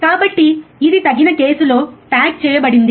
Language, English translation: Telugu, So, it is a packaged in a suitable case